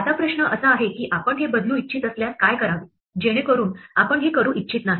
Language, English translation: Marathi, Now the question is, what if we want to change this so that we do nothing we do not want to do this